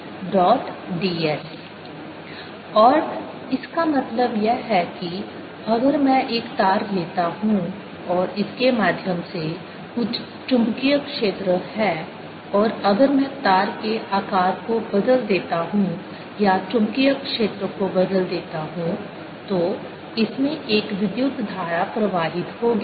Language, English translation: Hindi, we may depend on t dot d s and what it meant is that if i take a wire and through there is some magnetic field and if i change the shape of wire or change the magnetic field, there is going to be current in this